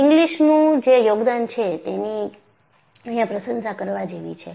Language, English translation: Gujarati, The contribution of Inglis, you have to appreciate